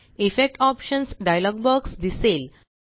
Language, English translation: Marathi, The Effects Options dialog box appears